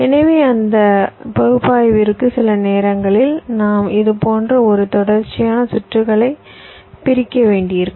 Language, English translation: Tamil, so just for that analysis, sometimes we may have to unroll a sequential circuit like this